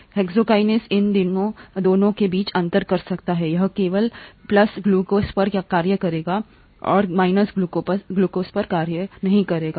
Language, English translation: Hindi, The hexokinase can distinguish between these two, it will act only on glucose it will not act on glucose